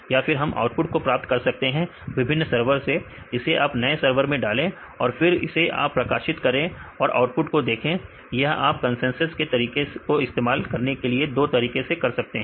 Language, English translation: Hindi, Or we can get the output from the different servers put it in the new server, right train and then see the output right you can also do in this 2 ways to use this consensus method